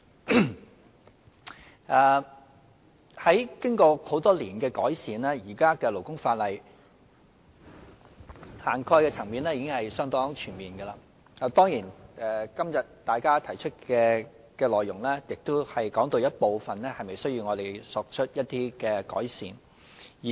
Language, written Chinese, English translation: Cantonese, 經過多年來的改善，現行勞工法例的涵蓋層面已相當全面，當然今天大家提出的內容亦談到有一部分是否需要我們作出一些改善。, After years of improvement the coverage of the existing labour legislation is already quite comprehensive . Certainly some of the contents of the speeches delivered by Honourable Members today concern whether improvement needs to be made to a certain part of the law